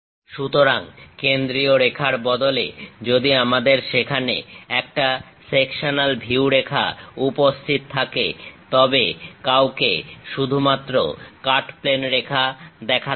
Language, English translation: Bengali, So, compared to the center line, we if there is a sectional view line is present, cut plane line; then one has to show only that cut plane line